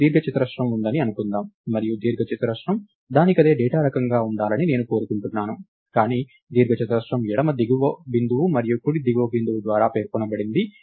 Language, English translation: Telugu, Lets say we have a rectangle and I want the rectangle to be a data type by itself, but the rectangle is specified by the left bottom point and the right top point